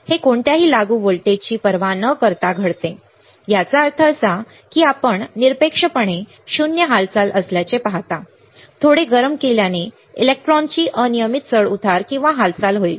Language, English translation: Marathi, It happens regardless of any apply voltage that means, that you see motion at absolute is zero, slight heating will cause a random fluctuation or motion of the electrons